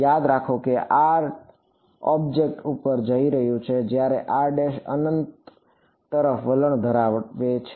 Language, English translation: Gujarati, Remember r prime r is going over the object whereas the r prime is tending to infinity